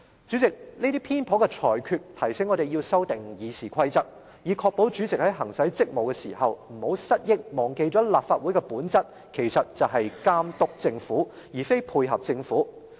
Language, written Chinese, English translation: Cantonese, 主席，這些偏頗的裁決，提醒我們要修訂《議事規則》，以確保主席在行使職務時，不要失憶，忘記立法會的本質就是監督政府，而非配合政府。, President these biased rulings reminded us that RoP must be amended to ensure that the President in performing his duties will not forget that the Legislative Council is by nature meant to oversee but not cooperate with the Government . It seems that the President is suffering from amnesia